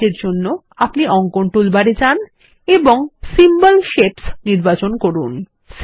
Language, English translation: Bengali, To do this, go to the drawing toolbar and select the Symbol Shapes